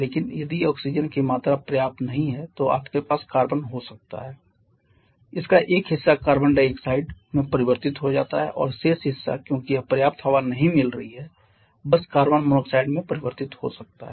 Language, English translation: Hindi, But if the amount of oxygen is supplying that is not sufficient then you may have the carbon a part of that gets converted to carbon dioxide and the remaining part because it is not getting sufficient air may just get converted to carbon monoxide